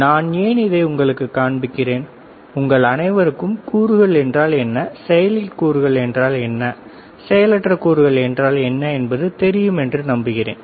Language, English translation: Tamil, And why I am kind of showing it to you I am sure that you all know what are the components, what are the active components, what are the passive components